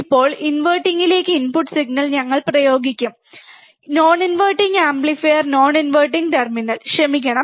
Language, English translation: Malayalam, Now, we will apply input signal, input signal to the inverting amplifier, non inverting amplifier non inverting terminal, sorry about that